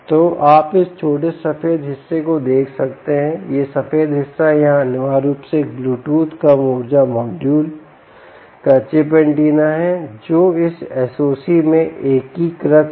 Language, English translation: Hindi, this white portion here essentially is the chip antenna of a bluetooth low energy module which is integrated into this s o c